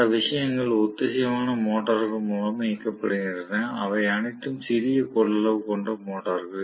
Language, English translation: Tamil, Those things are run with synchronous motors; those are all small capacitive motors right